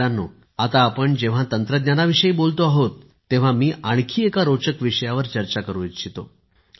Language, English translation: Marathi, Friends, while we are discussing technology I want to discuss of an interesting subject